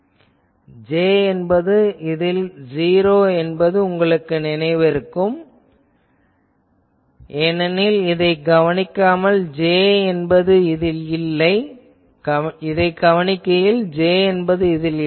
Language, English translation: Tamil, You remember that in this case J is 0 because this I am doing at the observation point there is no J